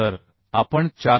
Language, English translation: Marathi, 31 so 448